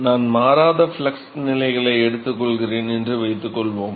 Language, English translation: Tamil, Suppose I take constant flux condition constant flux conditions